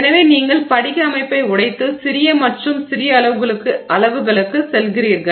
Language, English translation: Tamil, So, you are sort of breaking down the crystal structure and going to smaller and smaller sizes